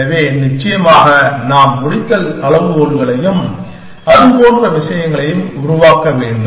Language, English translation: Tamil, So, of course then we have to work out the termination criteria and things like that